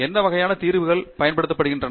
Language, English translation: Tamil, What kinds of solvers are being used